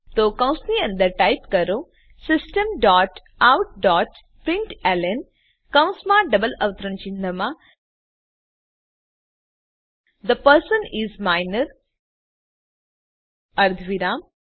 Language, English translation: Gujarati, So Inside the brackets type System dot out dot println within brackets and double quotes The person is Minor semi colon